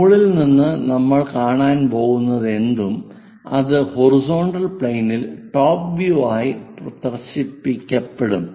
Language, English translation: Malayalam, From top whatever we are going to look at that will be projected on to top view, on the horizontal plane